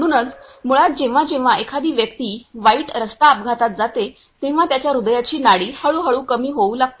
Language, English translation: Marathi, So, basically whenever a person go through a bad road accidents, then his heart pulse gradually start slowing down